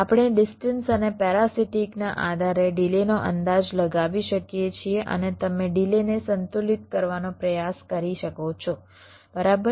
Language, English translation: Gujarati, we can estimate the delay based on the distance and the parsitics and you can try to balance the delays right